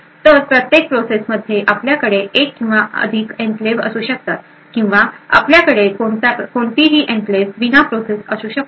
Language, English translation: Marathi, So, per process you could have one or more enclaves or you could also have a process without any enclaves as well